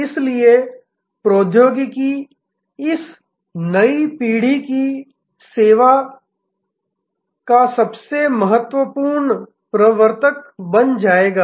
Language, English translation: Hindi, So, technology will become the most significant enabler of this new generation of service